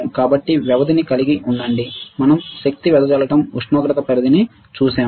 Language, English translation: Telugu, So, have a duration we have seen power dissipation temperature range ok